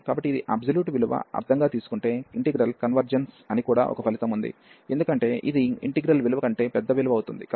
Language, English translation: Telugu, So, this is there is a result also that this is such integral converges if this converges meaning with the absolute value, because this is going to be a larger value than this value of the integral